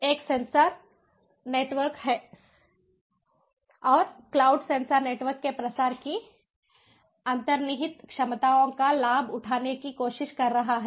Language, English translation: Hindi, one is sensor networks and cloud, trying to take advantage of the inherent capabilities of dissemination of sensor networks